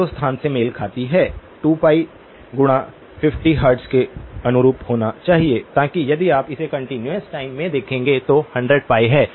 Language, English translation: Hindi, Theta corresponds to the 0 location must correspond to 2pi times 50 hertz, so that that is 100pi if you would look at it in the continuous time